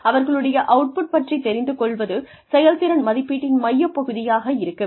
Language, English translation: Tamil, Knowledge of their output, should be an integral part of performance appraisals